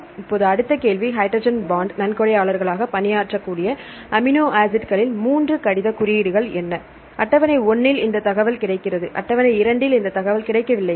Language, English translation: Tamil, Now next question what are three letter codes of amino acids, which can serve as hydrogen bond donors, this information available in table 1, no this information available in table 2